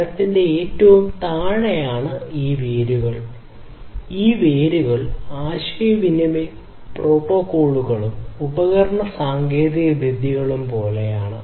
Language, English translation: Malayalam, At the very bottom of the tree are these roots; these roots are like communication protocols and device technologies communication device technologies